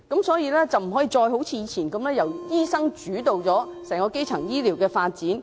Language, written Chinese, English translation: Cantonese, 所以，政府不能一如以往般，由醫生主導整個基層醫療發展。, Therefore the Government must not develop primary health care under a doctor - led approach as in the past